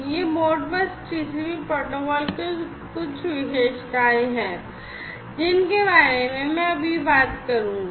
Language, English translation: Hindi, So, here are some of the salient features of the Modbus TCP protocol